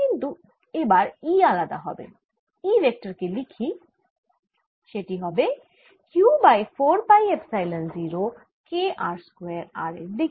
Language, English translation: Bengali, but now e is going to be different and let me write e vector now is going to be q over four pi epsilon zero k r square in the r direction